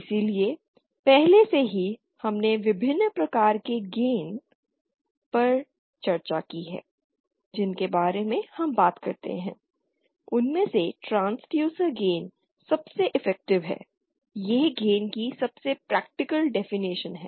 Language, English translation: Hindi, So already we have discussed about the various types of gain that we talk about, among them the transducer gain is the most effective; it is the most practical definition of gain